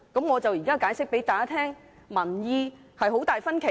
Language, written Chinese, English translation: Cantonese, 我現正向大家解釋，民意有很大分歧。, I am now explaining to all Honourable colleagues that public opinion is hugely split